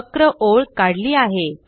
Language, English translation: Marathi, You have drawn a curved line